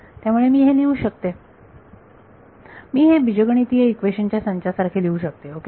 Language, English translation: Marathi, So, I can write this, I can write this as a system of algebraic equations ok